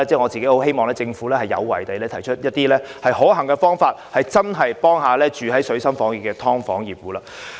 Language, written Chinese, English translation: Cantonese, 我希望政府有為地提出一些可行的方法，以真正協助身處水深火熱的"劏房戶"。, I hope the Government will be determined to come up with some feasible options so as to offer actual assistance to those tenants of subdivided units in dire straits